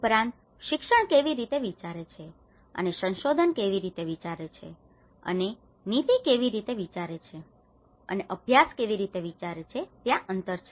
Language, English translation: Gujarati, Also, there has been gaps in how education thinks and how research thinks and how the policy thinks how the practice